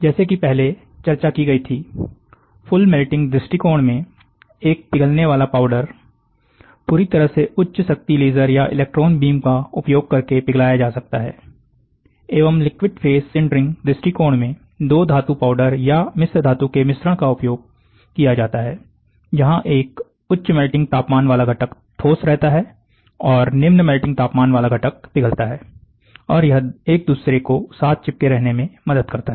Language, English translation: Hindi, As discussed previously, in the full melting approach, a melting powder material is fully melt using high power laser or electron beam, and in liquid phase sintering approach, a mixture of 2 metal powders or metal alloy is used, where a higher melting temperature constituent remains solid and the lower melting, that is what I said, lower melting constituent melts and it helps in sticking with each other